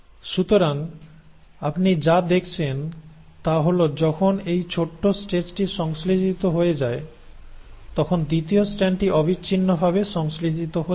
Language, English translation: Bengali, So what you find is that when you have this short stretches synthesised, the second strand is not getting synthesised in a continuous manner